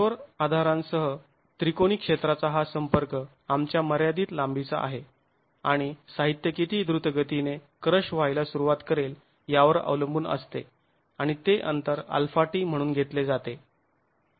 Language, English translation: Marathi, This contact of the triangular area with the rigid support is of a finite length and that depends on how quickly the material will start crushing and that distance is taken as alpha delta T